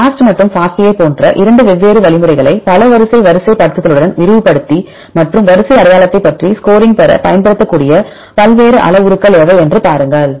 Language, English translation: Tamil, Right the 2 different algorithms like the BLAST and FASTA then we extended with the multiple sequence alignment and see what are the various parameters you can use to get the score how about the sequence identity